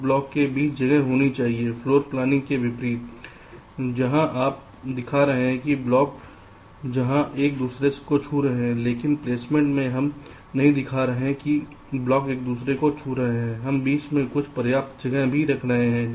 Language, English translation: Hindi, is unlike floor planning where you are showing that the blocks where touching each other, ok, but in placement we are not showing the blocks is touching each other where